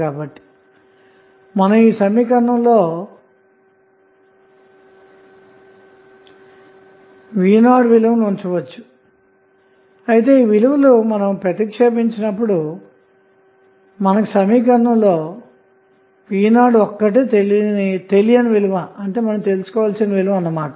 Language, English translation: Telugu, We can simply put the value of v naught in this equation so finally when you put these value here you will have only v naught as an unknown in this equation